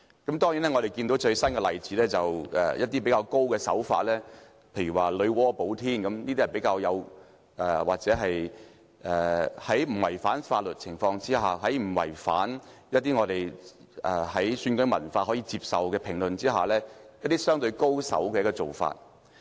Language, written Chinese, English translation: Cantonese, 當然，最近有一些例子是較為高明的手法，例如"女媧補天"之說，這是在不違反法律、不違反選舉文化可接受的評論的情況下，相對較為高手的做法。, Of course we have seen some brilliant practices lately . Take for example the remark on the fable of Nuwa who patched up the sky with coloured stones . This is a clever way of expressing views about the upcoming election without actually breaching the laws or crossing the bottom line of acceptable commentary under our election culture